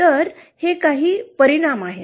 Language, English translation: Marathi, So these are some of the effects